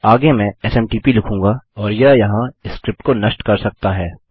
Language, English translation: Hindi, Next Ill say SMTP and that can just kill the script there